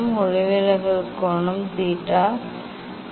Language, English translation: Tamil, refracted angle also theta i